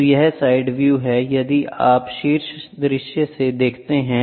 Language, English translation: Hindi, So, this is side view if you look from the top view